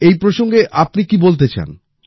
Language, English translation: Bengali, What would you like to say